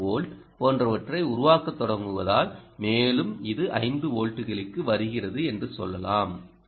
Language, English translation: Tamil, let us say this is five volts and what you are getting here is three volts